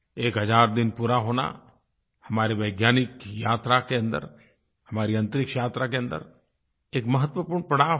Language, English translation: Hindi, The completion of one thousand days, is an important milestone in our scientific journey, our space odyssey